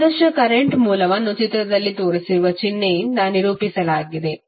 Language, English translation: Kannada, Ideal current source is represented by this symbol